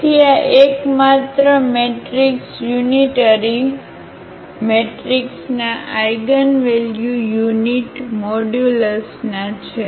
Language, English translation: Gujarati, So this unitary matrix the eigenvalues of the unitary matrix are of unit modulus